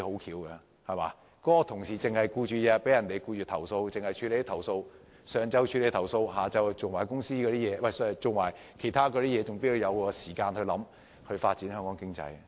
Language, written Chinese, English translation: Cantonese, 如果同事每天都忙於處理投訴個案，在上午處理投訴個案，到了下午才處理其他工作，又怎會有時間思考如何發展香港經濟？, If the staff are busy dealing with complaint cases every morning leaving only the afternoon to handle other tasks do they still have time to think about the future economic development of Hong Kong?